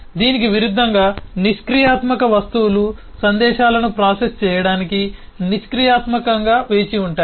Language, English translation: Telugu, in contrast, passive objects are passively waits for messages to be processed